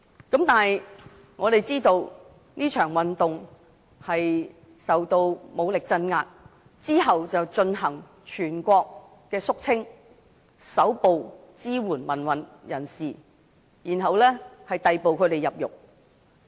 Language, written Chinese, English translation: Cantonese, 但是，我們知道這場運動受到武力鎮壓，之後還進行全國肅清，搜捕支援民運的人士，逮捕他們入獄。, Nevertheless we knew that this movement was suppressed with violence to be followed by a clean - up operation across the country and those who had supported pro - democracy activists were arrested and imprisoned